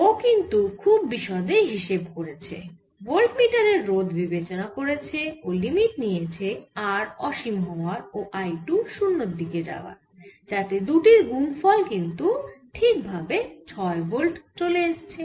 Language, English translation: Bengali, he did a very thorough job of taking resistance of the voltmeter and then taking the limit that r was tending to infinity and i two was tending to zero